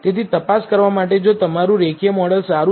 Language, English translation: Gujarati, So, in order to check, if your linear model is good